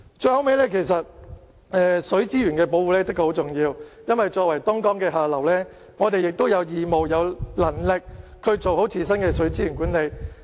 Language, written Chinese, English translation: Cantonese, 最後，其實水資源的保護是很重要的，作為東江的下流，我們有義務，也有能力做好自身的水資源管理。, Finally protection of water resources is essential . Hong Kong is located at the downstream area of Dongjiang and has the obligation as well as the ability to manage local water resources in a better way